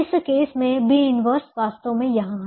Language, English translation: Hindi, in this case, b inverse is actually here